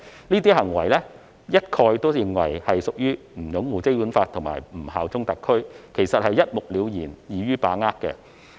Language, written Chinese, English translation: Cantonese, 這些行為一概被視為不擁護《基本法》和不效忠特區，一目了然，易於把握。, These acts will be considered as not upholding the Basic Law and bearing allegiance to HKSAR . The lists are easy to understand at a glance